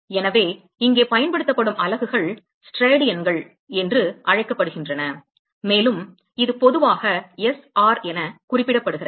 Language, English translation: Tamil, So, the units that is used here is called the steradians and it is typically represent as ‘sr’